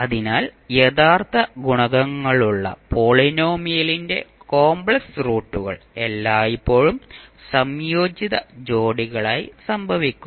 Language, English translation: Malayalam, So, the complex roots of the polynomial with real coefficients will always occur in conjugate pairs